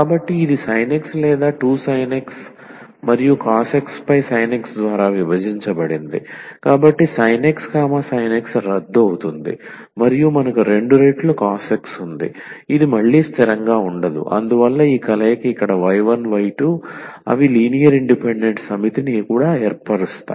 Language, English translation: Telugu, So, this will be sin 2 x over sin x or 2 sin x and cos x divided by sin x, so sin x sin x cancel and we have the 2 times cos x which is again not constant and hence these combination here with y 1 y 2 they also form a linearly independent set